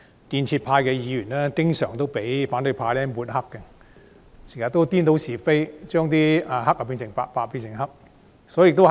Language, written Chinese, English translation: Cantonese, 建制派議員經常被反對派抹黑，他們顛倒是非，黑變白、白變黑。, Pro - establishment Members are often smeared by the opposition camp . They confound right and wrong calling black white and vice versa